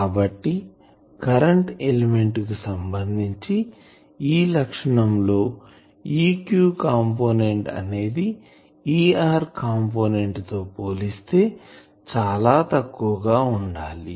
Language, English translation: Telugu, So, for current element these criteria means the E r component should be much much less than E theta component